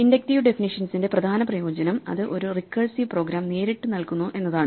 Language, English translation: Malayalam, The main benefit of an inductive definition is that it directly yields a recursive program